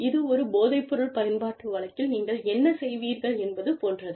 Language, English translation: Tamil, It is similar to, what you would do in a drug use case